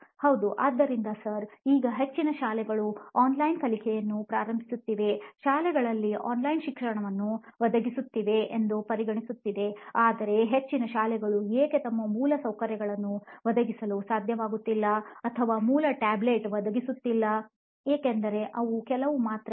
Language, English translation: Kannada, Yes, so Sir now considering like most of the schools are starting online learning, online education like they are providing online education in the schools, but there is a thing like why most schools are not able to provide good infrastructure or the basic tablet kind of learning because there are few things